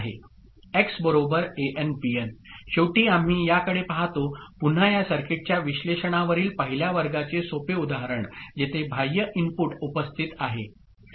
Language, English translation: Marathi, Finally we look at one again simple example for the first class on analysis of the circuit where there is an external input present